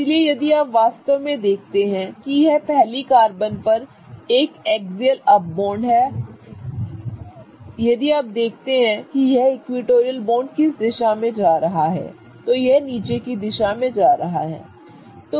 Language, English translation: Hindi, Carbon number 2 has an axial bond going down but if you look at the direction of this equatorial bond it is kind of going up right